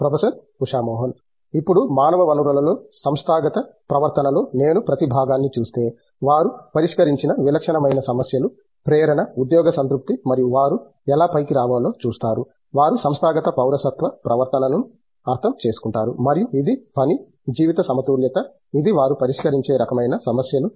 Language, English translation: Telugu, Ok Now, if I look at each silo in an organizational behavior in human resources, the typical problems they addressed are motivation, job satisfaction and they look how to come up, they understand organizational citizenship behavior and this is the work life balance, these are the type of problems they address